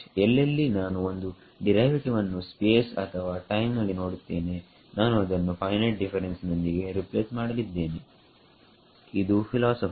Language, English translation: Kannada, E H wherever I see a derivative in space or time I am going to be replace it by a finite difference that is a philosophy